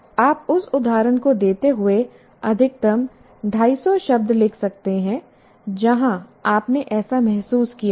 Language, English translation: Hindi, You can write maximum 250 words giving that instance where you have felt that